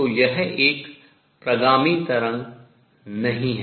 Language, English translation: Hindi, So, this is not a travelling wave